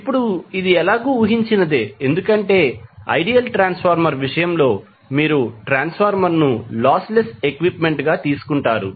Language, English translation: Telugu, Now, this is any way expected because in case of ideal transformer, you will take transformer as a lossless equipment